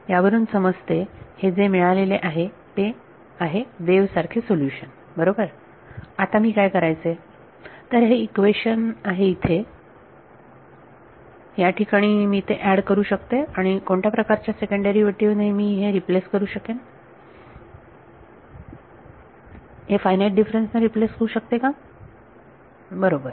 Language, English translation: Marathi, So, that says wave like solution is what is obtained right now, what do I do; so, this equation over here, I can add it over here and replaced by what kind of a second derivative can be replaced by a finite differences right